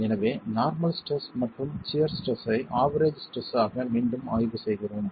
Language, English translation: Tamil, So, we are examining again the normal stress and the shear stress as average stresses